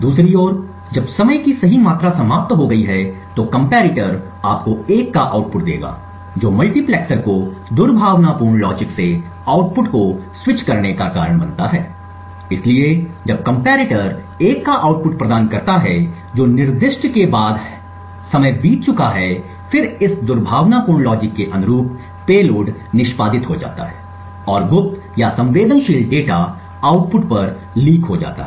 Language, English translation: Hindi, On the other hand when the right amount of time has elapsed the comparator would give you an output of 1 which causes the multiplexer to switch the output from that of the malicious logic, therefore when the comparator provides an output of 1 that is after the specified time has elapsed then the payload corresponding to this malicious logic gets executed and secret or sensitive data is leaked to the output